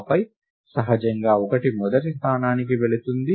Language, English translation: Telugu, And then naturally, 1 goes into the first location